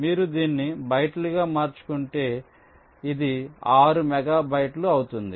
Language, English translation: Telugu, if you convert it to bytes, this becomes six megabytes